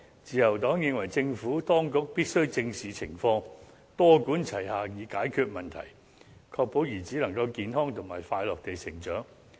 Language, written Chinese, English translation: Cantonese, 自由黨認為政府當局必須正視情況，多管齊下以解決問題，確保孩子能夠健康和快樂地成長。, The Liberal Party believes that the Administration must address the situation seriously and take a multi - pronged approach to solving the problem so as to ensure that children can grow up healthily and happily